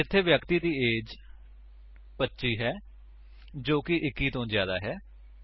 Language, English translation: Punjabi, Here, the persons age is 25, which is greater than 21